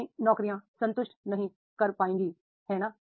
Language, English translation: Hindi, The old jobs will not be able to satisfy that